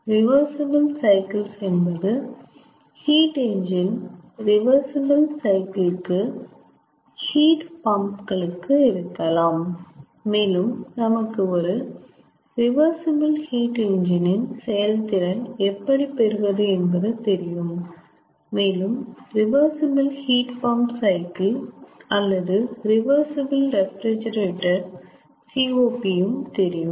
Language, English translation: Tamil, reversible cycles could be for heat engine, reversible cycle could be for heat pumps, and also we know how to calculate the efficiency of reversible heat engine cycles and the cop of reversible heat pump cycles or reversible refrigerator ah